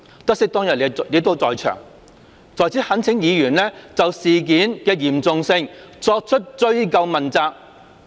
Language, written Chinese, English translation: Cantonese, 得悉當日你也在場，在此懇請議員就事件的嚴重性作出追究問責。, Having learnt that you were also at the scene on that day I urge Honourable Members to pursue those who should be held accountable for the seriousness of the incident